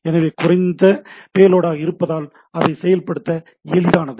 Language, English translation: Tamil, So, it is a less payload so it is easy to implement